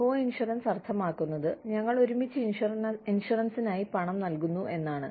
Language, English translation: Malayalam, Coinsurance means that, we pay for the insurance, together